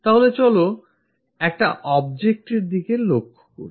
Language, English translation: Bengali, So, let us look at an object